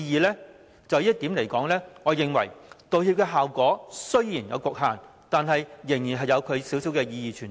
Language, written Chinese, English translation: Cantonese, 就這一點，我認為道歉的效果雖然有其局限，但仍有少許意義存在。, On my part I think an apology can still be of some meaning despite its limited effect